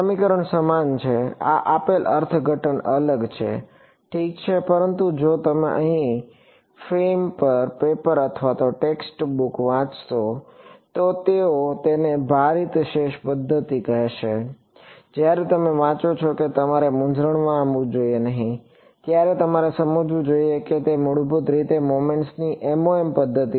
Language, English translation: Gujarati, The equations are same this is a interpretation given is different ok, but if you read papers and text books on the fem they will call it a weighted residual method; when you read that you should not get confused, you should realize; it is basically MOM Method of Moments right